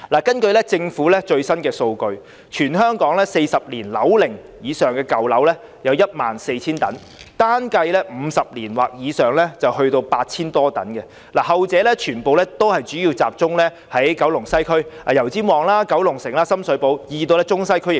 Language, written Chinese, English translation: Cantonese, 根據政府的最新數據，全港樓齡達40年以上的舊樓有 14,000 幢，單計算樓齡50年或以上的亦有 8,000 多幢，後者全部集中於西九龍，包括油尖旺、九龍城和深水埗區，亦見於中西區。, According to latest government data there are 14 000 old buildings aged 40 years or above in Hong Kong . Even if only those aged 50 years or above are counted there are still some 8 000 of them . While the latter ones all concentrate in West Kowloon including Yau Tsim Mong District Kowloon City District and Sham Shui Po District they are also seen in the Central and Western District